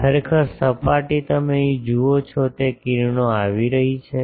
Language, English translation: Gujarati, Actually, the surface you see here the rays are coming